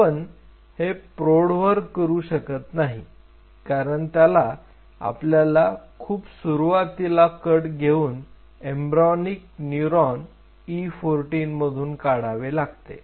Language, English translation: Marathi, So, we are not trying to do it on adults because this was the very first cut one has to try it out embryonic neuron E 14